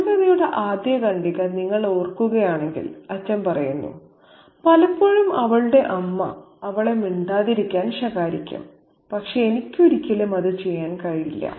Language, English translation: Malayalam, If you recall the very first paragraph of the short story, the father says that often her mother chides her to keep quiet